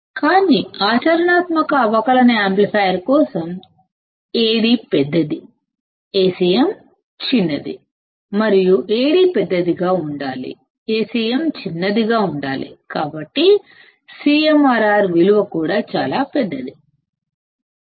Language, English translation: Telugu, But for a practical differential amplifier; Ad is large, Acm is small; this cm should be in subscript, Ad should be in subscript; and Ad should be large, Acm should be small hence the value of CMRR is also very large